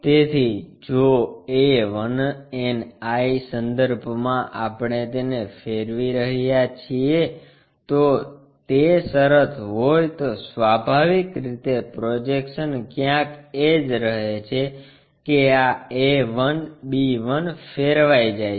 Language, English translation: Gujarati, So, if about a 1 we are rotating it, if that is the case then naturally the projection remains same somewhere about that this a 1, b 1 is rotated